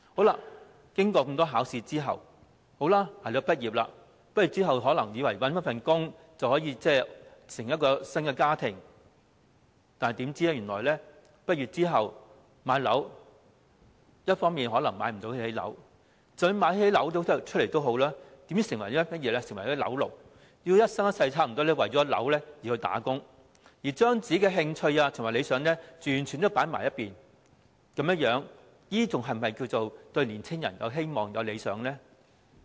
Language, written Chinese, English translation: Cantonese, 年青人經過多次考試，捱到畢業，以為畢業後找到工作便能組織新家庭，豈料畢業後，卻可能買不起樓，即使買得起，也會成為"樓奴"，幾乎一生一世為了供樓而工作，將自己的興趣和理想完全放在一旁，這樣還是否稱得上讓年青人有希望和理想呢？, After going through repeated examinations young people manage to hang on until graduation thinking that they will be able to start a new family after finding a job upon graduation . Yet after graduation they may not afford to buy a flat . Even if they can afford it they will become property slaves having to work for mortgage repayment almost all their lives putting their own interests and ideals completely aside